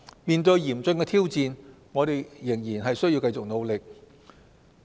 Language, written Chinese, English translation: Cantonese, 面對嚴峻的挑戰，我們仍須繼續努力。, In the face of the grave challenge we should brace ourselves to fight the pandemic